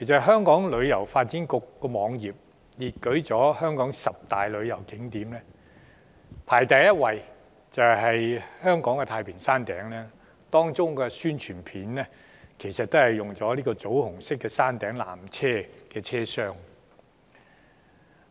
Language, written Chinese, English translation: Cantonese, 香港旅遊發展局在網頁中列舉了香港十大旅遊景點，排首位的是香港太平山頂，而有關的宣傳片正是展示了棗紅色車廂的山頂纜車，以作推廣。, Among the Top 10 Attractions listed on the website of the Hong Kong Tourism Board the Peak ranks first and a tramcar which is burgundy in colour is shown in its promotion clip